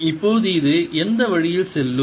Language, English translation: Tamil, now which way would it go for that